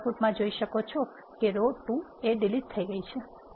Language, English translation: Gujarati, You can see that in the output the row 2 is deleted